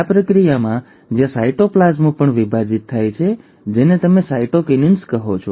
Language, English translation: Gujarati, This process, where the cytoplasm also divides, is what you call as the cytokinesis